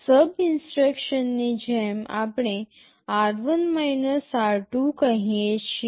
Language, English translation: Gujarati, Like in SUB instruction we are saying r1 r2